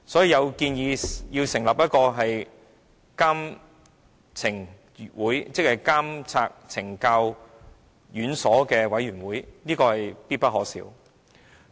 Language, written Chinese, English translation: Cantonese, 有人建議成立一個監察懲教院所委員會，這是必不可少的。, Some propose to set up a committee for monitoring correctional institutions . I think it is indispensable